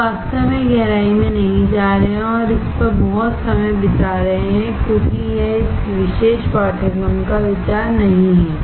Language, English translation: Hindi, We are not going really in depth and spending lot of time on this because that is not the idea of this particular course